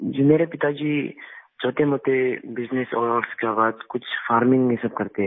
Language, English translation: Hindi, Yes my father runs a small business and after thateveryone does some farming